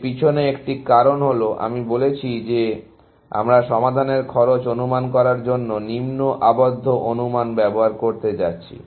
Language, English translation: Bengali, One of the reasons behind that is, that I have said that we are going to use lower bounding estimates for estimating the cost of a solution